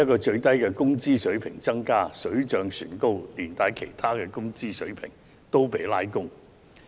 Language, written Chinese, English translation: Cantonese, 最低工資水平提升了，水漲船高，一併把其他工資水平拉高。, Like a rising tide that lifts all boats the rise of the minimum wage level has likewise elevated the local wage levels in general